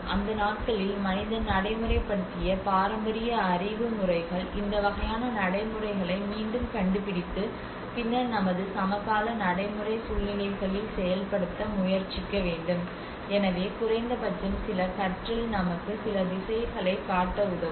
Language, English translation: Tamil, The traditional knowledge systems which of that days man have implemented so there is a need that we can relook into it rediscover into these kinds of practices and then try to implement in our contemporary practice situations so at least some learning could help us should show some direction